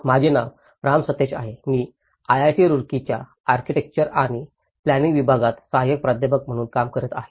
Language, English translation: Marathi, My name is Ram Sateesh; I am working as an assistant professor in Department of Architecture and Planning, IIT Roorkee